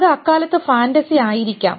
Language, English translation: Malayalam, It may have been fantasy at that time